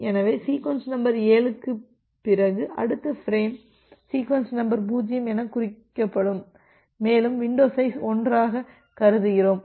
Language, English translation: Tamil, So, after sequence number 7 again the next frame will be marked as sequence number 0 and we are considering as window size of 1